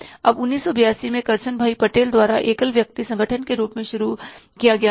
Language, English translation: Hindi, Now Nirma was started by Kursan Bataal in 1982 as a one man organization